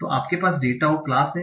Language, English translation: Hindi, So you have a pair, data and the class